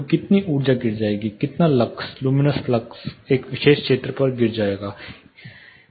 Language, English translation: Hindi, So, how much energy will fall, how much lux you know flux luminous flux will fall on a particular area